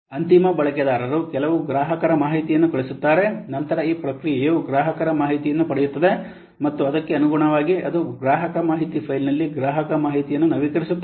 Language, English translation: Kannada, Here see the end user what sends some customer info info, then this process update customer info it receives that information and accordingly it updates the customer info where in the customer info file